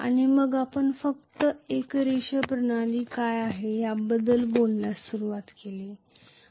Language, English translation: Marathi, And then we just started talking about what is a linear system